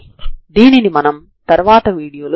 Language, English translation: Telugu, So we will see that in this video